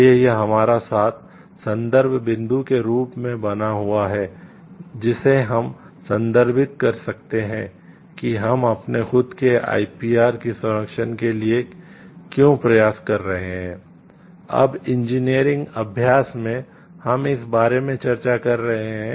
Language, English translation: Hindi, So, that this remains as reference point with us which we can refer to why we are trying to look for the protection of our own IPR